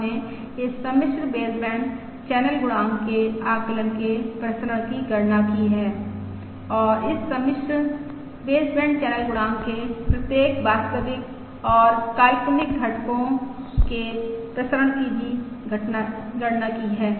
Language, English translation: Hindi, We have computed the variance of the ah estimate of this complex baseband channel coefficient and also the variances of each of the real and imaginary components of this complex baseband channel coefficient